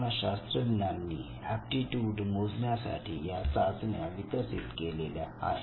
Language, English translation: Marathi, They have developed several tests to measure these aptitudes